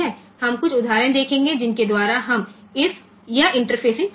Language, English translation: Hindi, We will see some examples by which we can do this interfacing